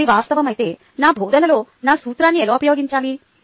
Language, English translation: Telugu, now, if this is a fact, then how should i apply this principle in my teaching